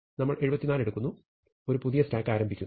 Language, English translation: Malayalam, So, we take 74, and we start a new stack